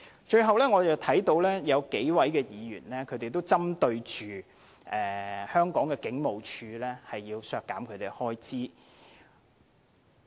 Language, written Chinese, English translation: Cantonese, 最後，我看到有數位議員均針對香港警務處並且要削減其開支。, Lastly I have seen that several Members have targeted the Hong Kong Police Force HKPF and proposed to cut its expenditure